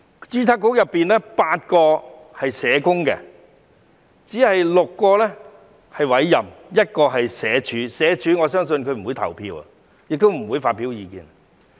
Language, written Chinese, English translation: Cantonese, 註冊局有8名成員是社工，有6名成員是委任的、有1名來自社署——我相信該成員不會投票，亦不會發表意見。, Eight members on the Board are social workers and six members are appointed members while one member is from the Social Welfare Department―whom I think will neither vote nor give his or her views